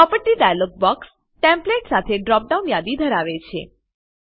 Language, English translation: Gujarati, Property dialog box contains Templates with a drop down list